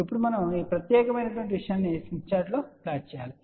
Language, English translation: Telugu, Now, we need to plot this particular thing on the smith chart